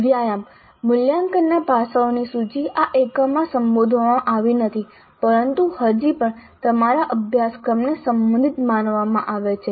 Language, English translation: Gujarati, So, a couple of exercises for you list aspects of assessment not addressed in this unit but still considered relevant to your course